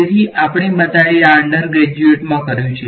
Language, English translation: Gujarati, So, we have all done this in undergraduate right